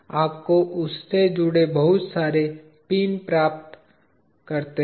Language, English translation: Hindi, You get so many pins attached to that